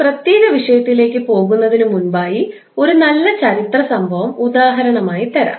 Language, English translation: Malayalam, So, before going into this particular topic today, let me give you one good historical event example